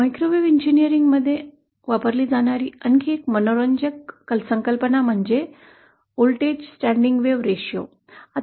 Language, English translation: Marathi, Another interesting concept that is frequently used in microwave engineering is the voltage standing wave ratio